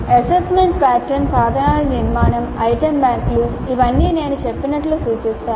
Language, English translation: Telugu, And the structure of assessment patterns and instruments, item banks, they are all indicative as I mentioned